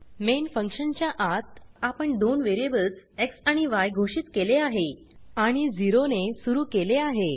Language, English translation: Marathi, Inside the main function we have declared two integer variables x and y and initialized to 0